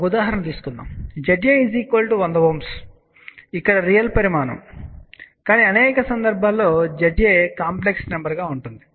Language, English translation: Telugu, Of course, I took example of Z A is equal to 100 Ohm hence it was a real quantity, but Z A in many cases will be a complex number